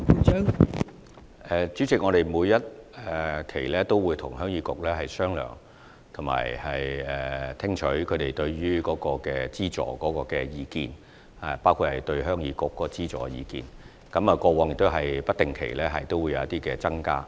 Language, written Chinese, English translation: Cantonese, 代理主席，我們會定期與鄉議局商量及聽取他們對於資助的意見，而過往亦曾在資助金額有不定期的增加。, Deputy President we will regularly discuss with HYK and listen to its views on funding . Increases in the amount of funding on an irregular basis were made in the past